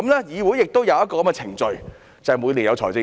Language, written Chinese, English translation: Cantonese, 議會亦有這種程序，就是每年的預算案。, There is also such kind of procedures in the legislature which is the Budget delivered every year